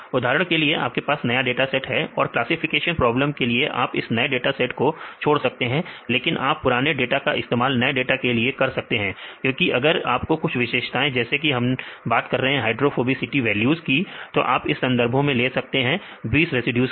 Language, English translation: Hindi, For example, if you take a new data how do you take this in the, if you take any classification problems you can leave the new data, but take the old data for the new dataset because even if you get some features for example, if we take the hydrophobicity values you take from the literature 20 residues